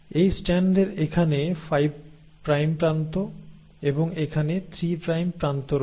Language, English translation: Bengali, This strand has a 5 prime end here and a 3 prime end here